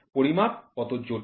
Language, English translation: Bengali, How complex is measurement